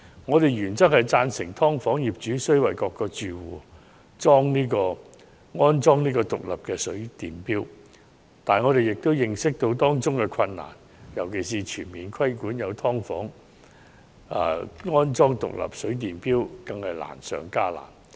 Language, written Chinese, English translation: Cantonese, 我們原則上贊成"劏房"業主須為各個住戶安裝獨立水電錶，但我們亦認識到當中的困難，尤其是全面規定現存"劏房"必須安裝獨立水電錶更是難上加難。, While we in principle support the installation of separate water and electricity meters for all households by landlords of subdivided units we are also aware of the difficulties involved and even more difficult is in particular the introduction of an across - the - board requirement for the existing subdivided units to install separate water and electricity meters